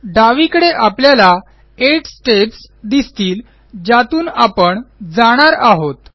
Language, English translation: Marathi, On the left, we see 8 steps that we will go through